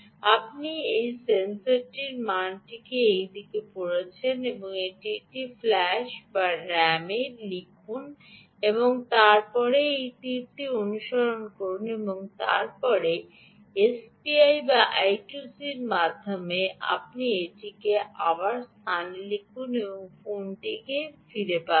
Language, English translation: Bengali, you read this sensor value in this direction, write it into either flash or ram and then follow this arrow and then, either over s p, i or i two c, you write it back into this location and get it back to the phone